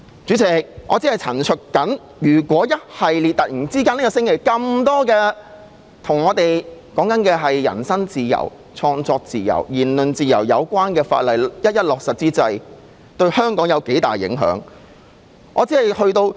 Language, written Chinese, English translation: Cantonese, 主席，我只是陳述，如果這星期與我們的人身自由、創作自由、言論自由有關的法例一一落實，對香港的影響有多大。, President I am only stating that if laws concerning our personal freedom freedom of creation and freedom of speech are implemented one after another this week how significant the impact on Hong Kong will be